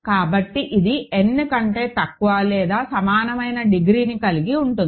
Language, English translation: Telugu, So, it will have degree less than or equal to n